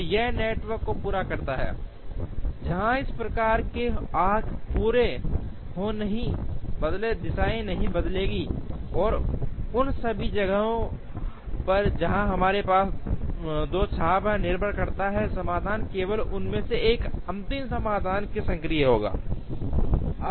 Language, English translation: Hindi, So, this completes the network, where these type of arcs will not change the directions will not change, and in all the places where we have two arcs, depending on the solution only one of them will be active in the final solution